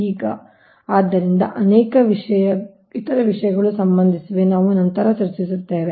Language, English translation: Kannada, hence many, many other things are associated with that later we will discuss